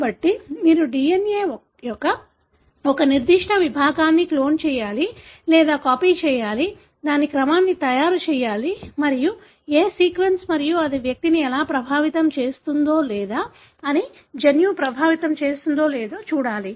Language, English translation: Telugu, So, you need to clone or make copies of a particular segment of DNA, make a sequence of it and look into what sequence and how it may affect the individual or because it affects the gene or not